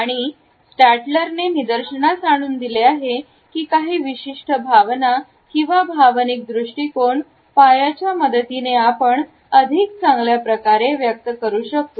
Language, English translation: Marathi, And Stalter has pointed out that certain feelings and emotional attitudes are better communicated with the help of our positioning of legs and feet